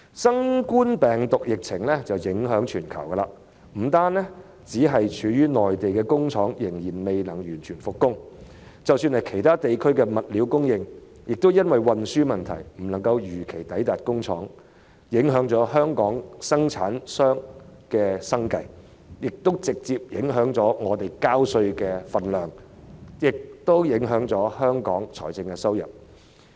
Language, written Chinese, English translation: Cantonese, 新冠病毒疫情影響全球，不單內地的工廠仍未能完全復工，即使是其他地區的物料供應，亦因運輸問題而未能如期抵達工廠，影響香港生產商的生計，亦直接影響市民繳稅的金額，以及香港的財政收入。, The outbreak of the novel coronavirus has affected the entire world . Not only have factories on the Mainland not fully resumed production but also supplies from other regions have not arrived at factories on time due to the problem of transportation . This has affected the livelihood of Hong Kong manufacturers and has a direct bearing on the amounts of taxes paid by the public and Hong Kongs fiscal revenue